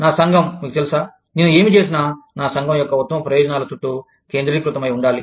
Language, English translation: Telugu, My community is, you know, whatever i do, has to be centered, around the best interests of, only my community